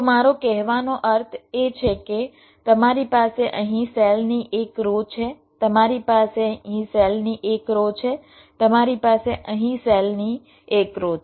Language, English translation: Gujarati, so what i mean to say is that you have one row up cells here, you have one row up cells here